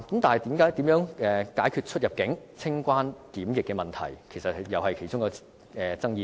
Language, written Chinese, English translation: Cantonese, 但是，如何解決出入境、清關及檢疫問題，也是其中一個爭議點。, However how to resolve the CIQ problem is also one of the controversial issues